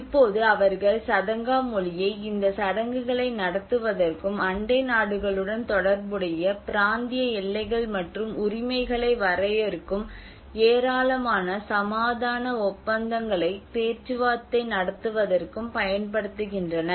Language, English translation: Tamil, Now they also use the Sadanga language to conduct these rituals and to negotiate a numerous peace pacts which define the territorial boundaries and rights related to the neighbours